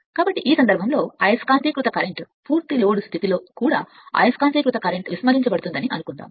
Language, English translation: Telugu, So, in this case the magnetizing current is suppose the magnetizing current is neglected even under full load condition